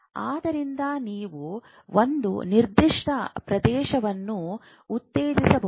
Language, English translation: Kannada, So, you can stimulate a certain region